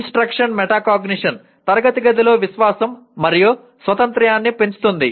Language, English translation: Telugu, Instruction metacognition fosters confidence and independence in the classroom